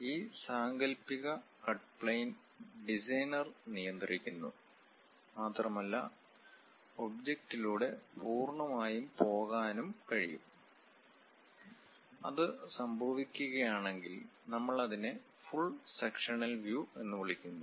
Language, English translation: Malayalam, This imaginary cut plane is controlled by the designer and can go completely through the object; if that is happening, we call full sectional view